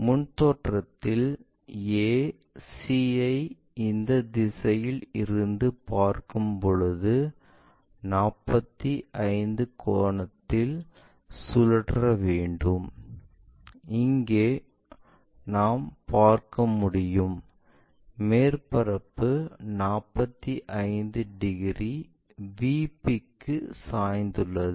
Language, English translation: Tamil, This a c when we are looking at that direction that entire surface has to be flipped in 45 angle here we can see that, surface is 45 degrees inclined to VP